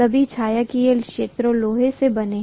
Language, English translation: Hindi, All the shaded regions are made up of iron, right